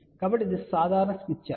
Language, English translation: Telugu, So, this is the general smith chart